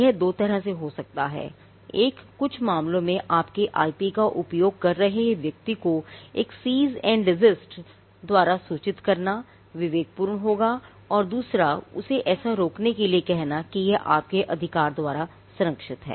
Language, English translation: Hindi, Now, this can happen in two ways; one, in some cases it would be prudent to inform the person whoever has utilizing your IP with a cease and desist notice – asking the person not to continue what he is doing as it is protected by your right